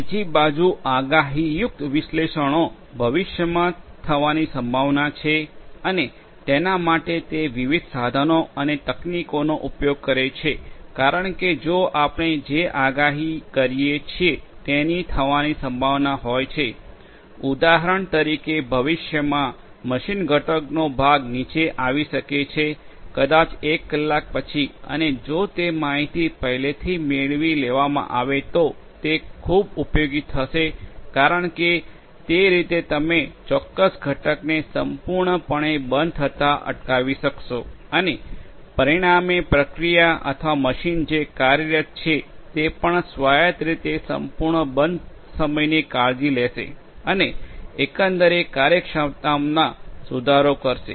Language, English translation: Gujarati, The predictive analytics on the other hand talks about use of different tools and techniques in order to predict in the future what is likely to happen because if we can predict what is likely to happen, for example, a part of a machine component might go down in the future, maybe after 1 hour and if that information is obtained beforehand then that will be very much useful because that way you could prevent that particular component from completely going down and consequently the process or the machine that is being operated will also be autonomously taking care of you know the complete down time and will improve upon the overall efficiency